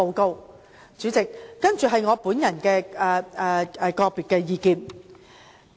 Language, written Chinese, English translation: Cantonese, 代理主席，以下是我的個人意見。, Deputy President next I will present my personal opinions